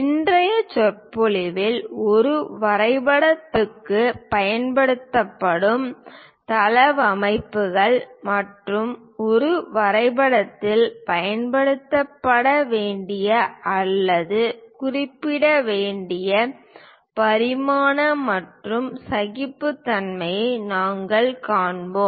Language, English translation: Tamil, In today's lecture we will cover what are the layouts to be used for a drawing sheet and dimensioning and tolerances to be used or mentioned in a drawing sheet